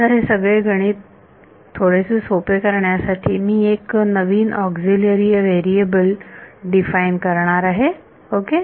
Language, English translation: Marathi, Now, to make this whole math a little bit easier, I am going to define a new auxiliary variable ok